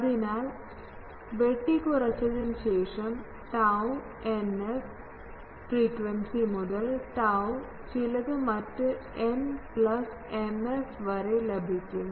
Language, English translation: Malayalam, So, you can have that, as I said that after truncation you can have that from tau n f frequency to tau some other n plus m f